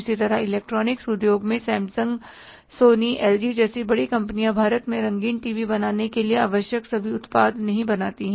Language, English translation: Hindi, Similarly in the electronics industry, in the electronics industry these bigger companies like Samsung, Sony, LG, they don't produce all the products required for manufacturing a color TV in India